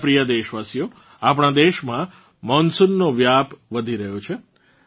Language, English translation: Gujarati, My dear countrymen, monsoon is continuously progressing in our country